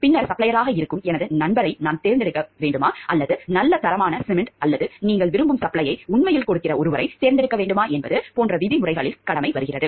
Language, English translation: Tamil, And then, obligation comes in the terms of like should I select my friend who is the supplier or select someone who is really giving a good quality of cement or the supply that you want for